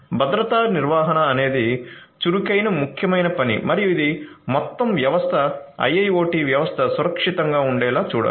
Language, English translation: Telugu, Security management is an active important function and this has to ensure that the whole system the IIoT system is secured